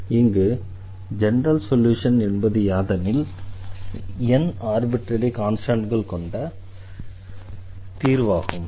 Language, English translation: Tamil, So, what do we call as the general solution it is the solution containing n independent arbitrary constants